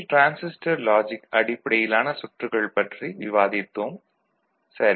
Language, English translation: Tamil, In the last class, we discussed TTL Transistor Logic based circuits, ok